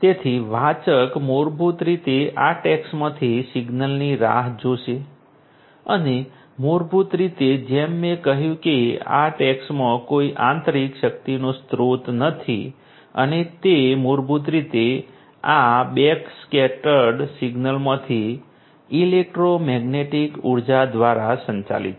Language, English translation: Gujarati, So, the reader basically will wait for a signal from these tags and basically as I said that these tags do not have any internal power source and they are basically powered by electromagnetic energy from this backscattered signal